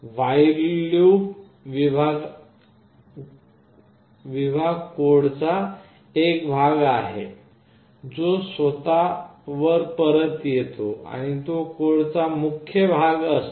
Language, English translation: Marathi, The void loop section is the part of the code that loops back onto itself and it is the main part of the code